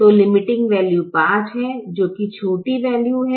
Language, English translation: Hindi, so the limiting value is five, the smaller value